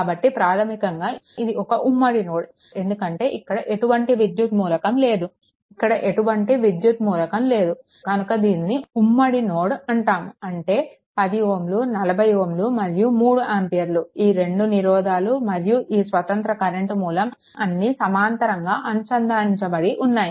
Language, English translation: Telugu, So, basically this is a this is a common node because no electrical element is here or here, no electrical element is here, it is a common node; that means, 10 ohm, 40 ohm and all 3 ampere, they all these all these resistors as well as the independent current source all actually connected in parallel, right